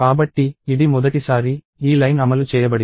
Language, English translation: Telugu, So, this is the first time, this line is executed